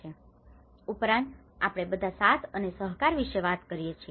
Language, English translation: Gujarati, Also, we all talk about the collaboration and cooperation